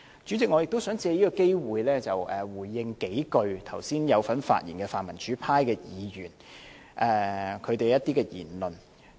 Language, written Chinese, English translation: Cantonese, 主席，我亦想藉此機會回應剛才有份發言的泛民主派議員的一些言論。, President I would also like to take this opportunity to respond to some remarks made by the pan - democratic Members who spoke earlier